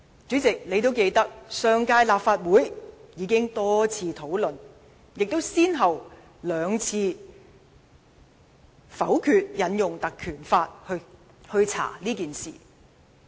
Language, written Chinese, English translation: Cantonese, 主席，你應該記得，上屆立法會已經多次討論此事，亦先後兩次否決引用《條例》進行調查。, President you should recall that the matter had already been discussed by the last Legislative Council on a number of occasions while two motions to investigate the incident by invoking the Ordinance had also been vetoed